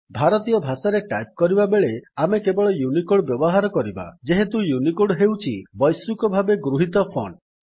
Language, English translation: Odia, We shall use only UNICODE font while typing in Indian languages, since UNICODE is the universally accepted font